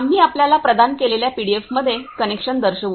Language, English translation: Marathi, We will show you the connection in the pdf we have provided